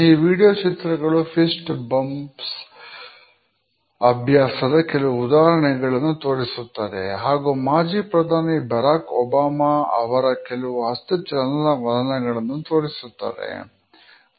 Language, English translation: Kannada, This media clip shows certain examples of fist bumps and it is a brief view of the hand movements of former President Barack Obama